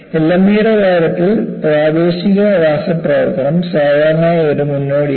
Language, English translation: Malayalam, In the case of LME, local chemical attack is usually a precursor